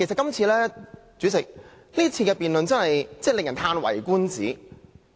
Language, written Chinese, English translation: Cantonese, 代理主席，今次的辯論真的令人嘆為觀止。, Deputy Chairman the debate this time is an eye - opener